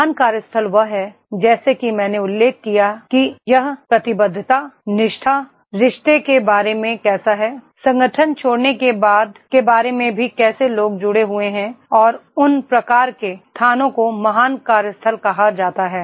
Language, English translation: Hindi, The great workplace is that, as I mentioned about how it is the commitment, loyalty, how about the relationship, how about after leaving the organization also people are connected and those type of the places are called great workplace